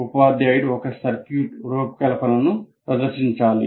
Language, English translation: Telugu, So, the teacher must demonstrate the design of a circuit